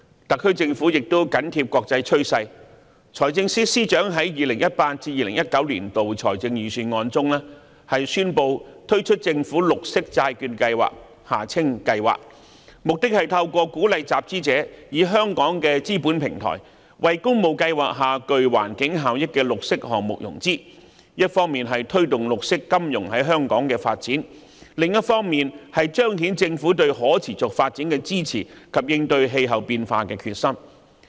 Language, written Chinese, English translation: Cantonese, 特區政府亦緊貼國際趨勢，財政司司長在 2018-2019 年度財政預算案中，宣布推出政府綠色債券計劃，目的是透過鼓勵集資者以香港的資本平台，為工務計劃下具環境效益的綠色項目融資，一方面推動綠色金融在香港的發展，而另一方面則彰顯政府對可持續發展的支持及應對氣候變化的決心。, The SAR Government has also closely kept up with the international trend . The Financial Secretary announced in the 2018 - 2019 Budget the proposal for launching a Government Green Bond Programme which seeks to finance green projects with environmental benefits under the Public Works Programme by encouraging issuers to arrange financing through Hong Kongs capital markets thereby promoting the development of green finance in Hong Kong on the one hand and signifying the Governments support for sustainable development and determination to combat climate change on the other